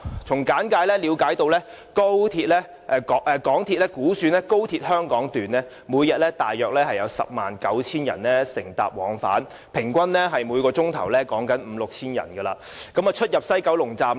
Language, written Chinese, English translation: Cantonese, 從簡介了解到，港鐵公司估算每天約有 109,000 人乘搭高鐵往返香港段，平均每小時有五六千人出入西九龍站。, According to the brief introduction given by MTRCL it was estimated that about 109 000 passengers would be travelling on the Hong Kong Section every day meaning that on average some 5 000 to 6 000 people would enter and leave the West Kowloon Station each hour